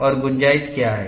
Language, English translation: Hindi, What is the length